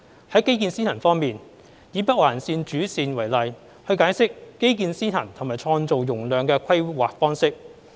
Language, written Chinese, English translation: Cantonese, 在基建先行方面，以北環線主線為例來解釋基建先行及創造容量的規劃方式。, In respect of according priority to infrastructure I shall take the main line of the Northern Link NOL to illustrate the infrastructure - led and capacity creating approach in planning